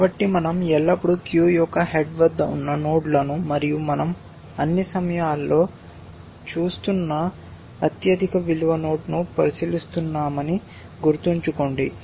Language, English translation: Telugu, So, remember that we are always considering the nodes at the head of the queue and the highest value node we are looking at that all times